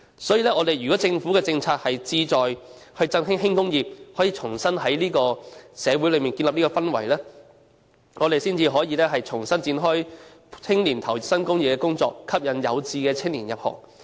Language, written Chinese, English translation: Cantonese, 所以，如果政府政策是志在振興輕工業，可以在社會上重新建立氛圍，我們才可以重新展開讓青年投身工業的工作，吸引有志的青年入行。, For that reason if it is the policy of the Government to re - vitalize the light industries it needs to re - build the necessary atmosphere in society . It is after we have done so that we can once again make efforts to persuade young people to join the industrial sector